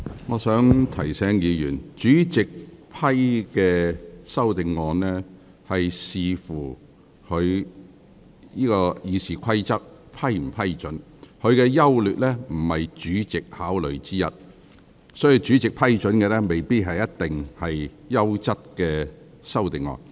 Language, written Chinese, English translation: Cantonese, 我想提醒議員，主席是根據《議事規則》決定修正案應否獲准提出，修正案的優劣並非考慮因素，所以主席批准提出的修正案未必是優質的修正案。, I would like to remind Members that the President made a decision on the admissibility of an amendment in accordance with the Rules of Procedure . The merits of the amendment are not a factor for consideration . Therefore an amendment which the President considered admissible may not necessarily be a good one